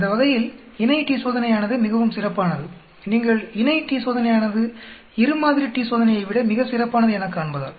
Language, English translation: Tamil, That way paired t Test is much better, as you can see to the paired t Test is much better than a two sample t Test